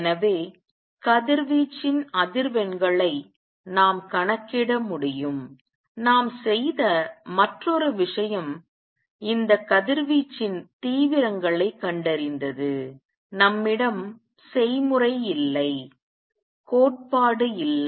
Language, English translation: Tamil, So, we could calculate the frequencies of radiation, the other thing we did was to calculate to find intensities of these radiations, we have no recipe, no theory